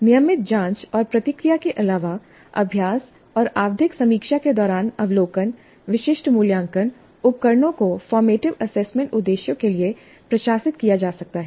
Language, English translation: Hindi, Apart from the regular probing and responding observations during practice and periodic review, specific assessment instruments could be administered for formative assessment purposes